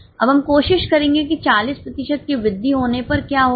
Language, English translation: Hindi, Now let us try what will happen if there is an increase of 40%